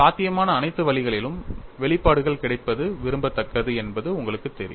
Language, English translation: Tamil, You know it is desirable that you have the expressions available in all the possible ways